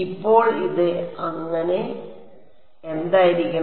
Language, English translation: Malayalam, So, what will this become